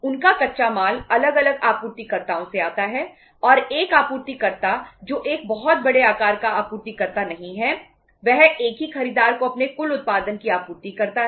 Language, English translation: Hindi, Their raw material come from say uh different suppliers and one supplier who is a not a very big size supplier, he supplies his total production to the one single buyer